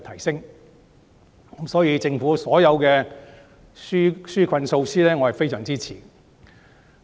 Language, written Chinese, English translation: Cantonese, 所以，對於政府所有的紓困措施，我是非常支持的。, Therefore I very much support all the relief measures proposed by the Government